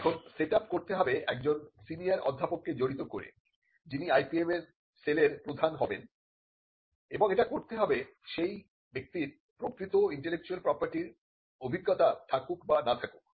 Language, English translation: Bengali, Now, the setup would involve a senior professor from the institution, who is regarded as the head of the IPM cell and this could be regardless of whether the person has actual intellectual property experience or not